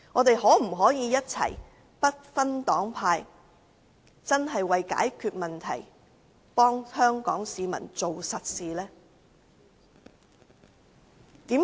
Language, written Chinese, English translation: Cantonese, 大家可否不分黨派一起解決問題，為香港市民做實事？, Regardless of our political parties and factions can we work together to solve these problems and do some real work for Hong Kong people?